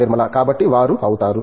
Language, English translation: Telugu, So, that they become